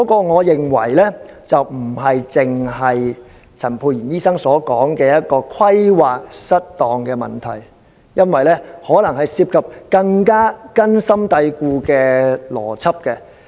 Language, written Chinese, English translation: Cantonese, 我認為問題不是陳沛然醫生所說的規劃失當，而是可能涉及更根深蒂固的邏輯問題。, I think the problem does not lie in erroneous planning as suggested by Dr Pierre CHAN but perhaps in certain more deep - rooted logical fallacies